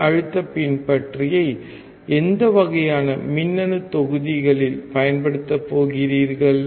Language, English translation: Tamil, In which kind of electronic modules are you going to use voltage follower